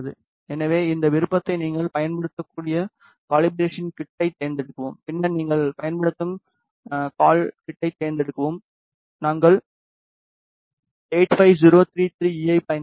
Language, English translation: Tamil, So, select the calibration kit you can use this option cal kit then select the cal kit that you are using, we are using the 85033E